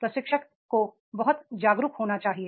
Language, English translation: Hindi, A trainer should be very much aware